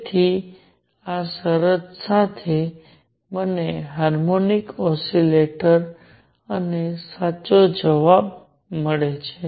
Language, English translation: Gujarati, So, with this condition, I also get the answer for the harmonic oscillator and the correct answer